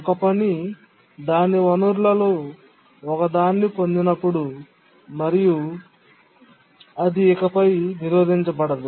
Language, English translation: Telugu, When a task gets one of its resource, it is not blocked any further